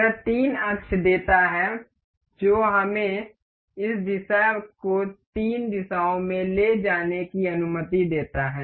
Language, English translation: Hindi, This gives three axis that the that allows us to move this part in the three directions